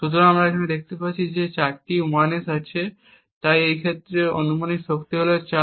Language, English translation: Bengali, So, we see here that there are four 1s so the hypothetical power in this case is 4